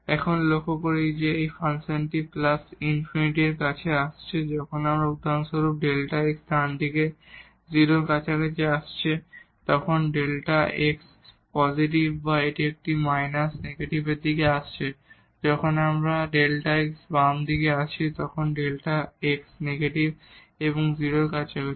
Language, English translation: Bengali, Now, what we observe that this function here is approaching to plus infinity when delta x is approaching to 0 from the right side for example, when delta x is positive or this is approaching to minus infinity when this delta x we are approaching from the left side when delta x is negative and approaching to 0